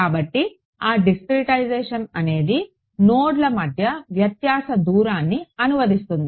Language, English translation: Telugu, So, that discretization translates into the difference distance between nodes